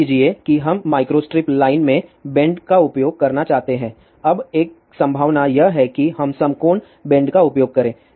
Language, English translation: Hindi, Let us say we want to use a bend in a micro strip line now one possibility is that we use right angle bend I generally do not recommend this particular thing